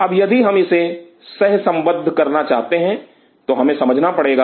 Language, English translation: Hindi, Now if we have to correlate this then we have to understand